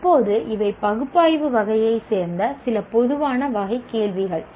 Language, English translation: Tamil, Now, these are some generic type of questions belonging to the category of analyzed